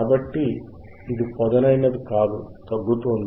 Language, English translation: Telugu, So, it is not sharp, it is you see is this decreasing